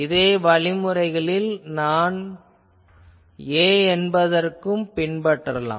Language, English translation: Tamil, In a similar fashion, so let me say this is A